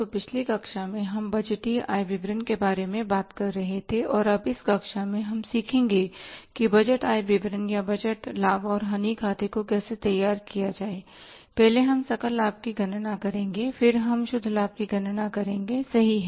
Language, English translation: Hindi, So, in the previous class we were talking about the budgeted income statement and in this class now we will learn how to prepare the budgeted income statement or the budgeted profit and loss account